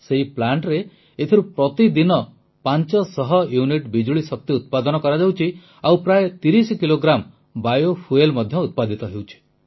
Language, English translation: Odia, In this plant 500units of electricity is generated every day, and about 30 Kilos of bio fuel too is generated